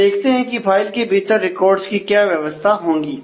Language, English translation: Hindi, Now, let us see the given this what is the organization of the records in the file